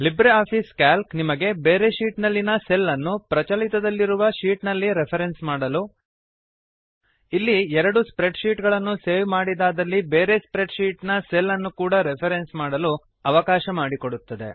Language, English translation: Kannada, LibreOffice Calc allows you to reference A cell from another sheet to a cell in the current sheet A cell from another spread sheet If you have saved both the spreadsheets